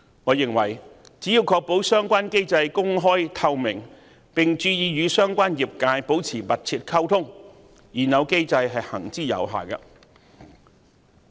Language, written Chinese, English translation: Cantonese, 我認為只要確保相關機制公開透明，並注意與相關業界保持密切溝通，現有機制是行之有效的。, I consider the existing mechanism effective as long as the Administration ensures the openness and transparency of the relevant mechanism and is mindful of maintaining close communication with the associated industries